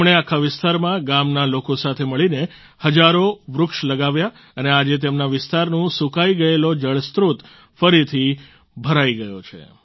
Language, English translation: Gujarati, Along with fellow villagers, he planted thousands of trees over the entire area…and today, the dried up water source at the place is filled to the brim once again